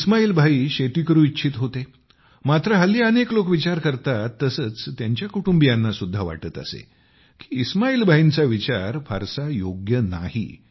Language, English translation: Marathi, Ismail Bhai wanted to do farming, but, now, as is these general attitude towards farming, his family raised eyebrows on the thoughts of Ismail Bhai